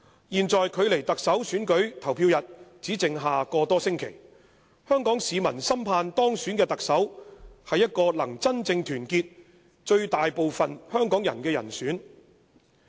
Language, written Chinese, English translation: Cantonese, "現在距離特首選舉投票日只剩下個多星期，香港市民深盼當選的特首是一個能真正團結最大部分香港人的人選。, The Chief Executive Election will take place in just a little over a weeks time and Hong Kong people are desperately hoping that the Chief Executive elected will be someone who can truly bring the majority of the Hong Kong people together